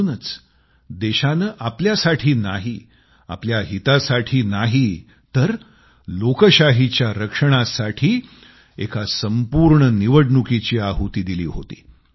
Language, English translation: Marathi, And precisely for that, the country sacrificed one full Election, not for her own sake, but for the sake of protecting democracy